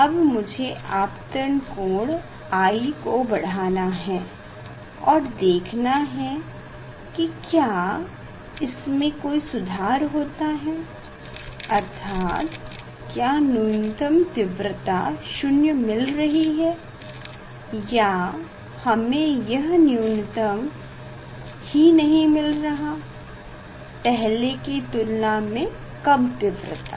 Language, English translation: Hindi, I have to change it from this angle I have to change I will increase and see whether any improvement means whether this minimum we are getting almost 0 or we are not getting this minima, this less intensity compared to the earlier one